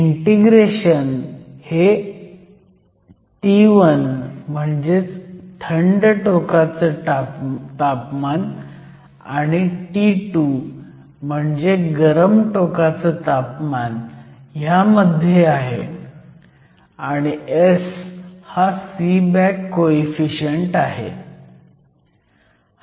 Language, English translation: Marathi, The integration is from T 1 which is the temperature at the cold end to T 2, which is the temperature of the hot end and S is called the Seeback coefficient